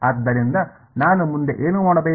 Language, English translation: Kannada, So, what do I do next